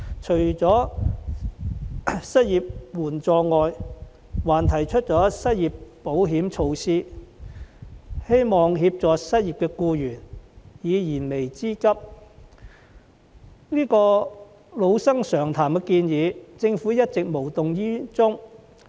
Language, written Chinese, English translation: Cantonese, 除了失業援助外，我們還提出了失業保險措施，希望協助失業僱員解燃眉之急，但政府對這些老生常談的建議卻一直無動於衷。, Apart from unemployment assistance we have also proposed the measure of unemployment insurance in the hope of helping unemployed workers meet their pressing needs . Yet the Government has all along been indifferent to these proposals which have been brought up time and again